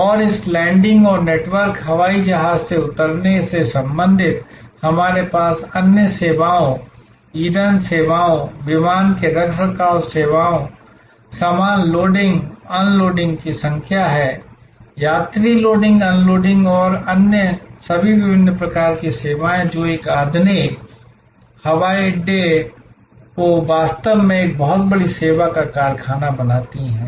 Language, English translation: Hindi, And related to this landing and taking off of network, aeroplane, we have number of other services, the fueling services, the maintenance services of the aircraft, the baggage loading, unloading; the passenger loading unloading and all other different kinds of services, which make a modern airport really a very large service factory